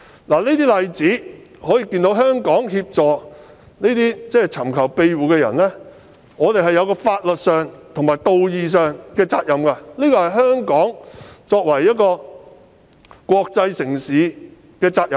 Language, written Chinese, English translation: Cantonese, 從以上例子可見，香港在協助尋求庇護人士方面須承擔法律上和道義上的責任，這也是香港作為一個國際城市的責任。, It can thus be seen that with regard to the provision of assistance to asylum seekers Hong Kong must honour its legal and moral obligations and this is also the responsibility of Hong Kong as an international city